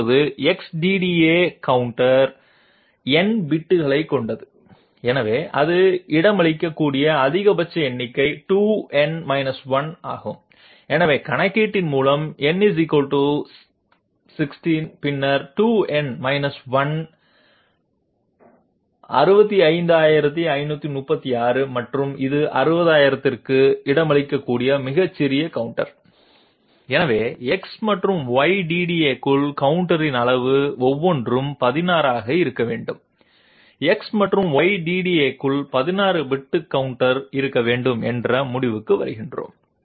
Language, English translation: Tamil, Now X DDA counter is of n bits, so the maximum number it can accommodate is 2 to the power n 1, so simply by calculation we can find out if n = 16, then 2 to the power n 1 is 65536 and this is the smallest counter which can accommodate 60,000, so we come to the conclusion that the size of the counter inside X and Y DDA must be 16 each, 16 bit counter inside X and Y DDA